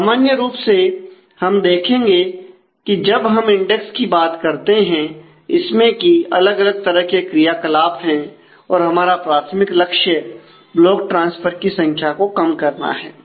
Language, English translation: Hindi, So, normally we will see that as we talk about index saying and other different kinds of mechanisms, our primary target is to minimize the number of block transfers